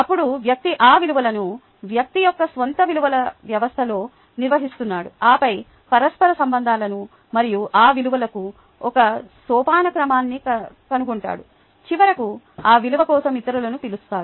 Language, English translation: Telugu, then the person is organizing those values into the persons own system of values and then finding interrelationships and a hierarchy for those values and then ultimately becomes known by the others for that value